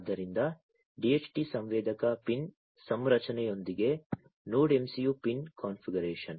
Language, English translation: Kannada, So, Node MCU pin configuration with the DHT sensor pin configuration right